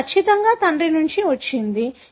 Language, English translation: Telugu, So, definitely that must have come from father